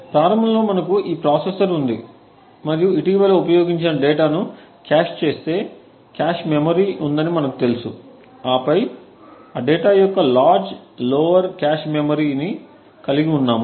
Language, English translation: Telugu, So initially we have this processor and as we know that there is a cache memory which caches some of the recently used data and then we have the large lower cache memory of the data